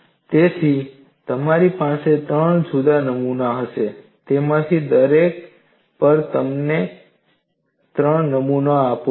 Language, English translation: Gujarati, So, you will have three different specimens; and on each of them, you provide three samples